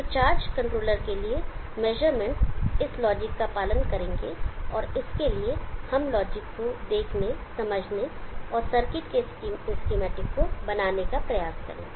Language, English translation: Hindi, So measured to the charge controllers will follow this logic and let us try to see understand this logic and build the circuits schematic for this